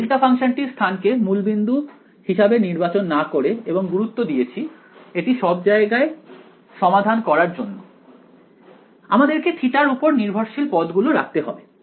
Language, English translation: Bengali, Instead if you are chosen your location of a delta function to not be the origin and insisted on solving everything; you would have had to keep the theta dependent terms right